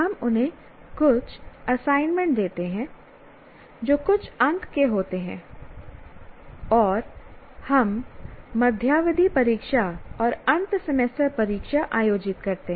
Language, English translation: Hindi, We give them some assignments which carry some marks and we conduct midterm tests and then we have end semester examination